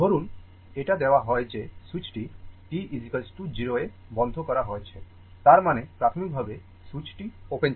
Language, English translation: Bengali, Suppose, it is given that switch is that the switch is closed at t is equal to 0; that means, initially switch was open